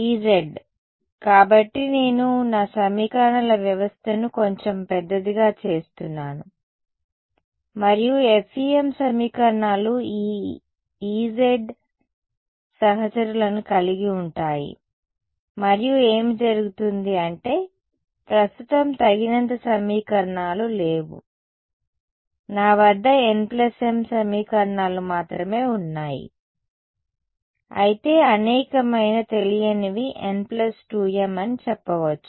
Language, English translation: Telugu, E z so, I am making my system of equations a little bit larger right and the FEM equations are going to involve this E z fellows right and what happens to I mean there are not enough equations right now, I only have n plus m equations whereas a number of unknowns is n plus